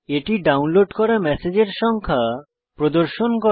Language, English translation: Bengali, It displays the number of messages that are being downloaded